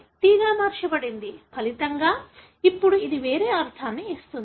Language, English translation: Telugu, As a result, now it gives a different meaning